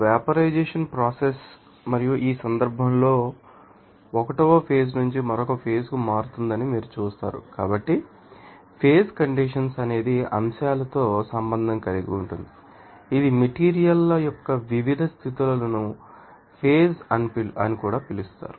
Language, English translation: Telugu, And vaporization process and in this case, since, you will see that page will be changing from 1 phase to the another phase So, phase condensation of method is you know, that is related to this you know topics like you know that the different you know states of the you know materials that will be called as phase also